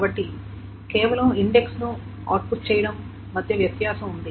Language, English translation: Telugu, So, there is a difference between just outputting the index, etc